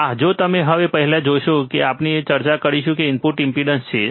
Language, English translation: Gujarati, Ah so, if you see the first one that we will be discussing is the input impedance